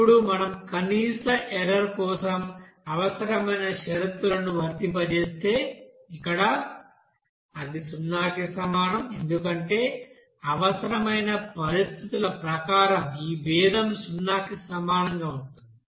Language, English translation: Telugu, Now if we apply that necessary conditions for a minimum error, that means here That should be is equal to zero because to minimize that this differentiation will be equals to zero as per necessary conditions